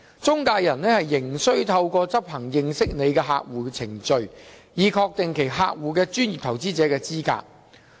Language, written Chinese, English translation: Cantonese, 中介人仍須透過執行"認識你的客戶"程序，以確定其客戶的專業投資者資格。, Yet intermediaries have to conduct the know - your - client procedures to ensure the professional investor qualification of their clients